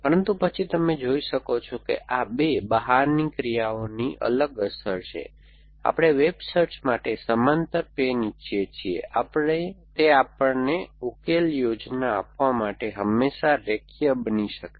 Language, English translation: Gujarati, But, then you can see that the effect of these 2 out actions is different, we want our parallel pans to web search that they can always be linearise to give us a solution plan